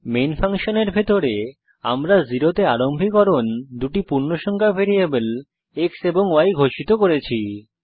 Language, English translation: Bengali, Inside the main function we have declared two integer variables x and y and initialized to 0